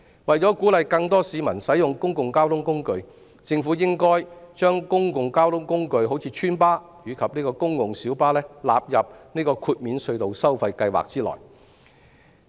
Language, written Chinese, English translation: Cantonese, 為鼓勵更多市民使用公共交通工具，政府應把公共交通工具如邨巴及公共小巴納入豁免隧道收費計劃內。, In order to encourage more people to use public transport services the Government should incorporate such public transport services as residents buses and PLBs into the tunnel toll waiver scheme